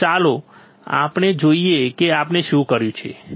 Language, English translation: Gujarati, So, let us see let us see what we have done